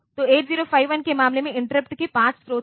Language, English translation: Hindi, So, in case of 8 0 5 1 there are 5 sources of interrupts